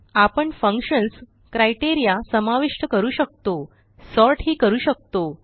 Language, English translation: Marathi, We can add functions, criteria and sort it any way we want